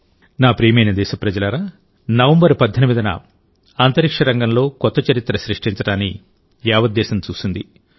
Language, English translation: Telugu, My dear countrymen, on the 18th of November, the whole country witnessed new history being made in the space sector